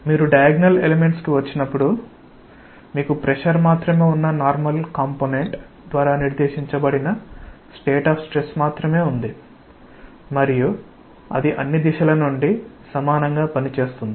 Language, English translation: Telugu, When you come to the diagonal element, you have only the state of stress dictated by the normal component which is just pressure, and that acts equally from all directions